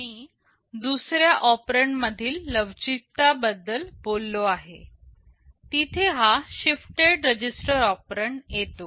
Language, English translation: Marathi, I talked about some flexibility in the second operand, you see here this shifted register operand comes in